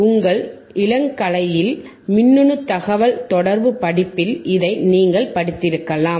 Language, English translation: Tamil, You may have studied in electronic communication course in your undergrad